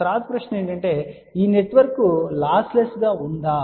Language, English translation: Telugu, Next question is this network lossless